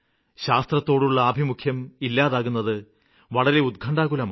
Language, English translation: Malayalam, Youth is losing their interest in science, which is a matter of great concern